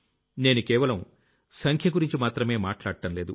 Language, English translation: Telugu, And I'm not talking just about numbers